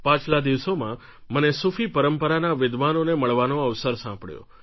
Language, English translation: Gujarati, Sometime back, I had the opportunity to meet the scholars of the Sufi tradition